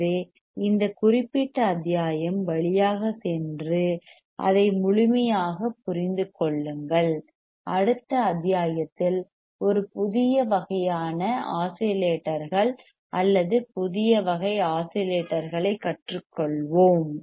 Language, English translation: Tamil, So, just go through this particular module, understand it thoroughly right and I will see you in the next module with a new kind of oscillators or new class of oscillators to learn